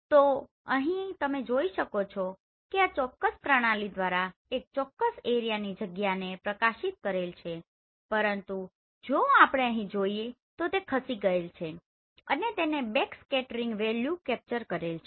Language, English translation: Gujarati, So here you can see this particular system has illuminated this area from this particular position, but whereas in this one here it has moved and it has captured the backscattering values